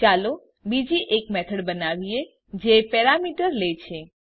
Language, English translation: Gujarati, Let us create another method which takes two parameter